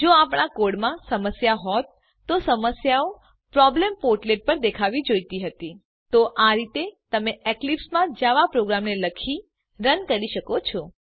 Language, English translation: Gujarati, If our code had problems, the problems would have been shown on the Problems portlet Here is how you write and run a Java program in Eclipse